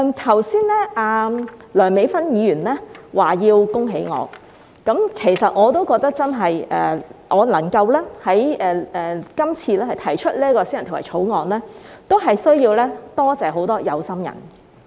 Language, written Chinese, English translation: Cantonese, 剛才梁美芬議員說要恭喜我，其實我也認為我這次能夠提出私人條例草案需要多謝很多有心人。, In fact I agree that I need to thank all those who do care to make it possible for me to introduce this private bill